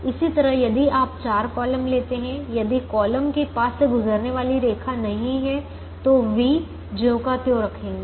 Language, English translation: Hindi, similarly, if you take the four columns, if the column does not have a line passing through, keep the v as it is, so v one is zero